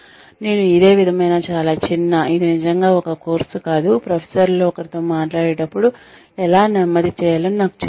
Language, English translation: Telugu, I went through a similar, very short not really a course, but, a discussion with one of my professors, who taught me, how to slow down, while talking